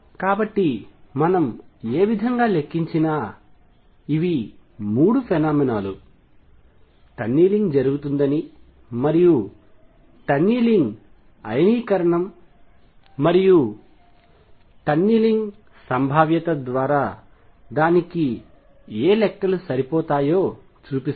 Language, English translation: Telugu, So, these are 3 phenomena with that show you that tunneling does take place and whatever calculations are done through tunneling ionization tunneling probability does match whatever we measure